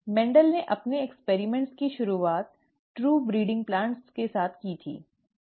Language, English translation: Hindi, Mendel started his experiments with true breeding plants